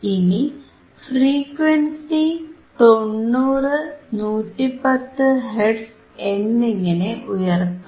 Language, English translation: Malayalam, So now, we increase it from, 50 to 70 hertz